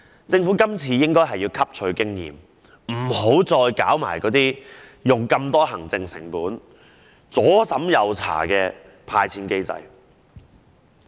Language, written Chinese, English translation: Cantonese, 政府今次應該汲取經驗，別再採用行政成本高昂、左審右查的"派錢"機制。, The Government should learn from this experience and cease to adopt such a disbursement mechanism which incurs a high administrative cost due to a multitude of checks